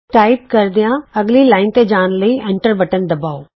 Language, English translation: Punjabi, Press the Enter key to go to the next line while typing